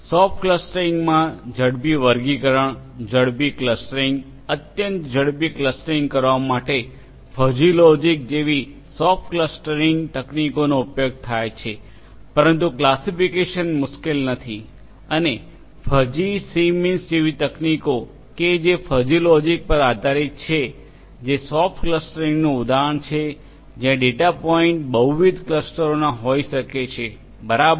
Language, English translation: Gujarati, In soft clustering, soft computing techniques such as fuzzy logic are used in order to come up with faster classifications, faster clustering, extremely faster clustering, but the classification is not hard, the clustering is not hard and techniques such as fuzzy c means which is based on the concept of fuzzy logic is an example of soft clustering where the data points may belong to multiple clusters, right